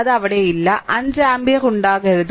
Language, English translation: Malayalam, It is not there; 5 ampere should not be there